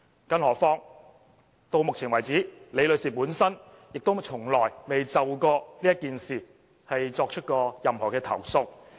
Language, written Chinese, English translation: Cantonese, 更何況到目前為止，李女士本身也從來沒有就這件事作出任何投訴。, And let us not forget that so far Ms LI herself has never made any complaint regarding the matter